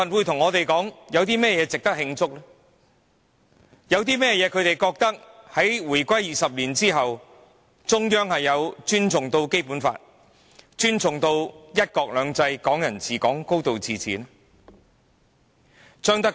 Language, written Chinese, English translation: Cantonese, 他們覺得，自香港回歸的20年間，中央不曾尊重《基本法》、"一國兩制"、"港人治港"和"高度自治"。, They think that over the past 20 years since Hong Kongs reunification the Central Government has not respected the Basic Law one country two systems Hong Kong people administering Hong Kong and a high degree of autonomy